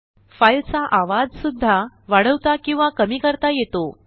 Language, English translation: Marathi, The volume of the file can also be increased or decreased